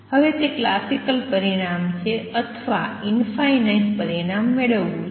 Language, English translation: Gujarati, Now I need to that is the classical result or intend to infinite result